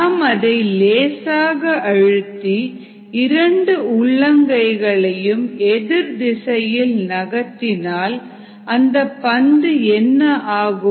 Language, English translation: Tamil, and then when we slightly press and move the palms in opposite directions, what happens to the ball